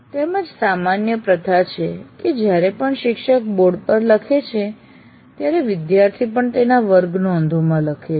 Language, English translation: Gujarati, And also what happens, the common practice is whenever teacher writes on the board, the student also writes in his class notes